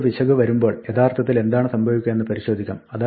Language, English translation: Malayalam, Let us examine what actually happens when we hit an error